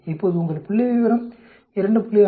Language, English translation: Tamil, Now your statistics is 2